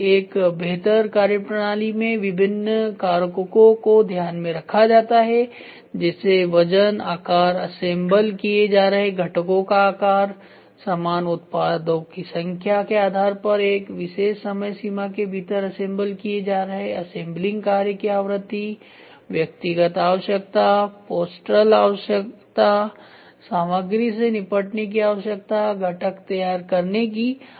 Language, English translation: Hindi, The various factors are taken into consideration in n improved methodology such as; weight, size, shape of the components being assembled, frequency of assembling task, based on the number of similar products, being assembled within a particular time frame, personal requirement, postural requirement, material handling requirement, need for component preparation